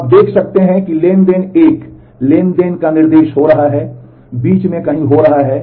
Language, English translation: Hindi, So, you can see that transaction 1 is happening instruction of transaction 1 is happening somewhere in the middle